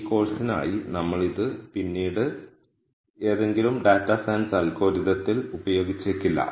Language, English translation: Malayalam, Now for this course we might not be using this later in any data science algorithm